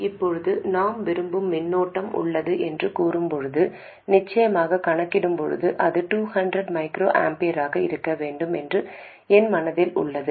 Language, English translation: Tamil, Now, when we say we have a desired current, of course when calculating I have it in my mind that it should be 200 microamperors